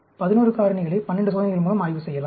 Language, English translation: Tamil, 11 factors can be studied with 12 experiments